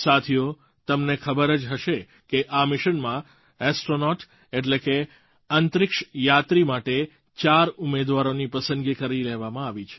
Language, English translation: Gujarati, Friends, you would be aware that four candidates have been already selected as astronauts for this mission